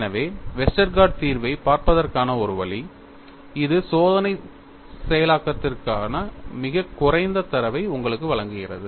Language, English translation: Tamil, So, one way of looking at Westergaard solution is, it provides you very little data for experimental processing